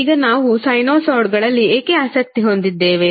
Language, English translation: Kannada, Now, why we are interested in sinusoids